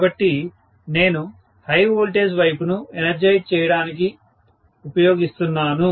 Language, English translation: Telugu, So, I am using the high voltage side for energising, right